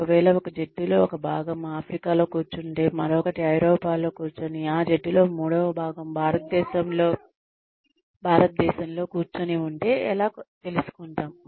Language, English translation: Telugu, If, one part of a team is sitting in Africa, the other is sitting in Europe, and the third part of that team is sitting in India